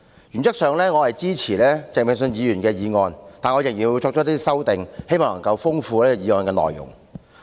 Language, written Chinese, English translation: Cantonese, 原則上，我支持鄭泳舜議員的議案，但我仍要作出一些修訂，希望豐富議案的內容。, In principle I support this motion moved by Mr Vincent CHENG but still I have to make some amendments hoping to enrich the contents of the motion